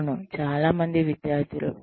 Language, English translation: Telugu, Yes, so many students